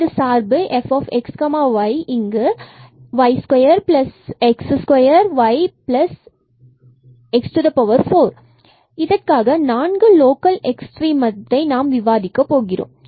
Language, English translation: Tamil, And now we move to the next problem which is the function here f x y is equal to y square plus x square y and plus x 4 we want to discuss 4 local extrema